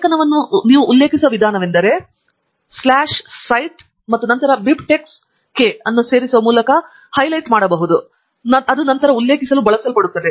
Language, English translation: Kannada, The way you refer to the article is by inserting \cite and then the BibTeX key that is highlighted here, which is then going to be used for referencing